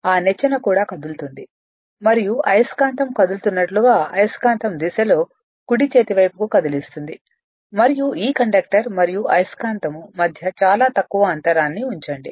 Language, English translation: Telugu, That that ladder also will move and the direction of the your what you call in the direction of the magnet as magnet is moving you are moving the magnet to the right hand side and keep a a very little gap between this between this conductor and the magnet